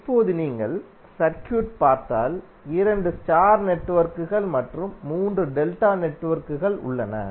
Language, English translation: Tamil, Now if you see the circuit, there are 2 star networks and 3 delta networks